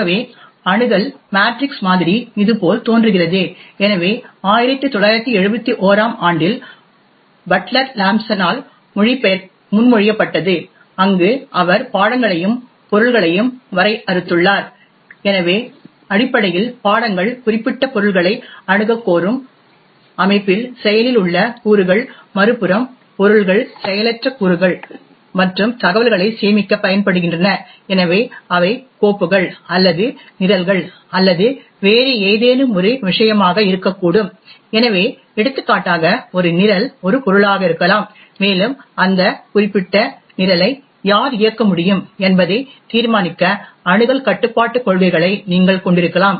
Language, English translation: Tamil, So the Access Matrix model looks like this, so it was proposed by Butler Lampson in 1971, where he had defined subjects and objects, so essentially subjects are the active elements in the system which request to have access to specific objects, objects on the other hand are passive elements and used to store informations, so they could be like files or programs or any other thing, so for example a program can be an object and you could have access control policies to determine who can run that particular program